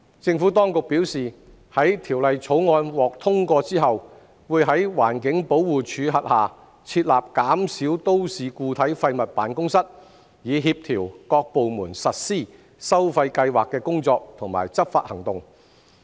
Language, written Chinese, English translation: Cantonese, 政府當局表示，在《條例草案》獲通過後，會在環境保護署轄下設立減少都市固體廢物辦公室，以協調各部門實施收費計劃的工作及執法行動。, The Administration has advised that a Municipal Solid Waste Reduction Office will be set up under the Environmental Protection Department after the passage of the Bill to coordinate the efforts of various departments in the implementation and enforcement of the charging scheme